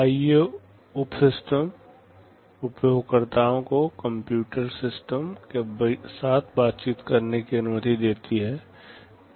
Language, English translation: Hindi, The IO subsystem allows users to interact with the computing system